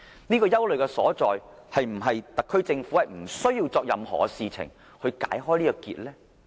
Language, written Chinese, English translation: Cantonese, 對於這個憂慮，特區政府是否不需要做任何事來解開這個結呢？, Should the SAR Government think that it does not need to allay such worry?